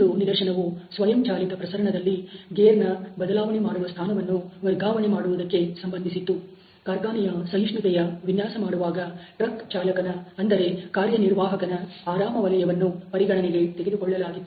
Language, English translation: Kannada, The other case was related to the shifting of the point of gear changing in an automatic transmission, where the comfort zone of the operator the truck driver was taken in to account for designing the factory tolerance